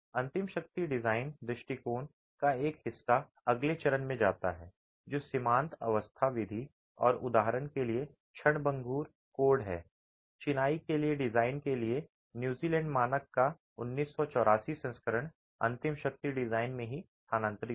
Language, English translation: Hindi, Part of the ultimate strength design approach goes into the next phase which is a limit state design and transitory codes, for example the 1984 version of New Zealand standards for design of masonry moved into the ultimate strength design itself